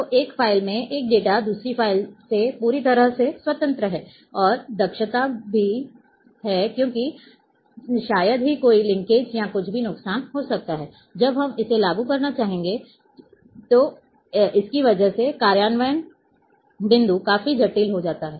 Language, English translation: Hindi, So, one data in one file is completely independent of another file, and a efficiency is also there because hardly there are any linkages or anything disadvantages that when we would like to implement then the implementation point is complex